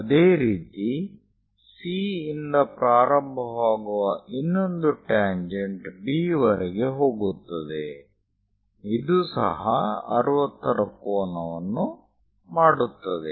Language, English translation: Kannada, Similarly, the other tangent which begins at C goes all the way to B; this also makes 60 degrees